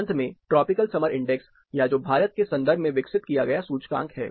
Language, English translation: Hindi, Finally, the tropical summer index or, which is the index which is developed in the Indian context, with Indian subjects